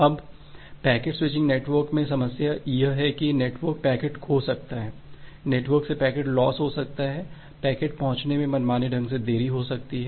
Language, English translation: Hindi, Now, the problem in the packet switching network is that, the network can lose the packet, there can be packet loss from the network; there can be arbitrarily delay in delivering the packet